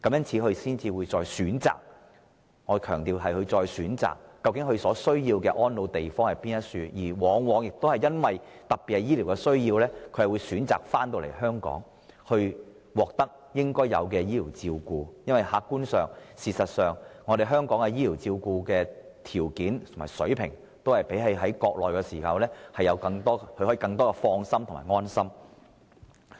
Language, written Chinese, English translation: Cantonese, 於是，他們必須再選擇——我強調是再選擇——所需的安老之地，而且往往特別基於醫療需要而選擇返回香港，接受應有的醫療照顧，因為客觀上、事實上，香港的醫療條件和水平的確較內地的更能令人放心和安心。, Therefore they will be required to choose once again―I emphasize―to choose once again the place where they will spend their twilight years and particularly they will very often choose to return to Hong Kong where they can meet their medical needs with health care services provided here because objectively speaking services provided in Hong Kong are in fact of a more reassuring standard than those offered on the Mainland